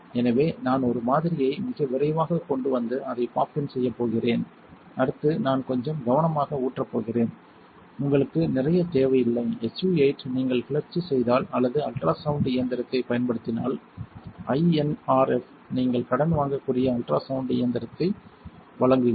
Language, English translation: Tamil, So, I am going to bring over a sample very quickly and just pop it in, next I am going to pour very carefully just a little bit you do not need a lot; that is all you need SU 8 develops faster if you agitate it or if you use an ultrasound machine, the INRF provides an ultrasound machine that you can borrow